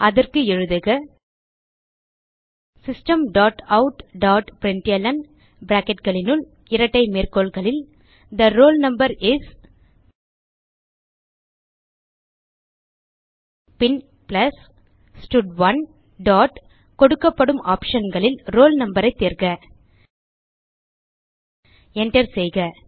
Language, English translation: Tamil, So for that type System dot out dot println within brackets and double quotes, The roll number is, then plus stud1 dot from the option provided select roll no press Enter then semicolon